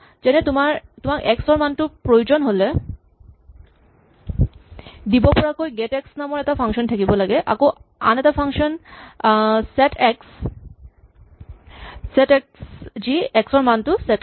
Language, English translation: Assamese, For instance if you want x there should be a function called get x which gives you the x value, there is function called set x which sets the x value